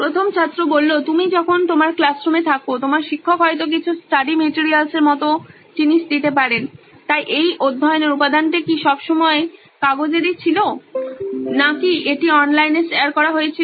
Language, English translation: Bengali, While you are in your classroom, your teacher might have saved some study materials and things like that, so was this study material always in terms of paper format or is it shared online